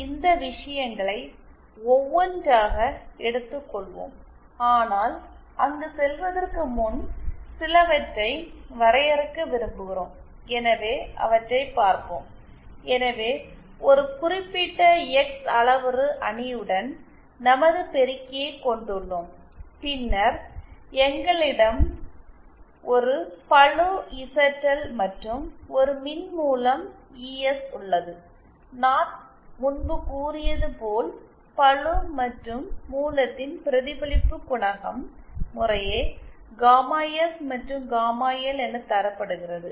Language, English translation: Tamil, So let us let us take up these things one by one but before going there we would like to define some of the, so let us let us see… So we have our amplifier with a certain X parameter matrix then we have a load ZL and a source ES and as I said earlier the reflection co efficient of the load and of the source and the load are given by gamma S and gamma L respectively